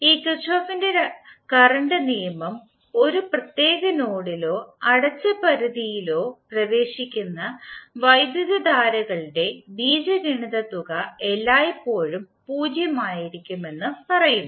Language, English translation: Malayalam, And this Kirchhoff’s current law states that the algebraic sum of currents entering in a particular node or in a closed boundary will always be 0